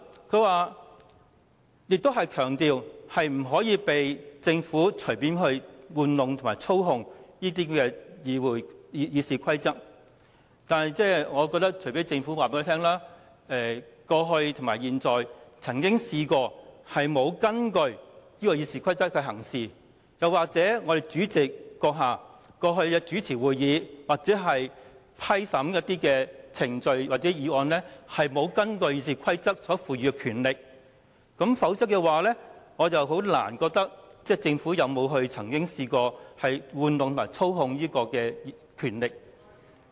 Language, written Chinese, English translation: Cantonese, 朱凱廸議員強調不可以讓政府隨意玩弄及操控《議事規則》，但除非政府告訴我們，過去或現在曾經沒有根據《議事規則》行事，又或主席過去主持會議或審批程序或議案時，沒有依據《議事規則》所賦予的權力行事，否則我難以認為政府曾經玩弄及操控權力。, Mr CHU Hoi - dick stressed that we should not allow the Government to fool around with RoP and manipulate it at will . But unless the Government can tell us a previous or current instance of anyone failing to conduct himself in accordance with RoP or a previous occasion of the President not acting in compliance with the powers conferred by RoP in chairing meetings or approving procedural matters or motions I can hardly agree to the assertion that the Government has abused and manipulated its power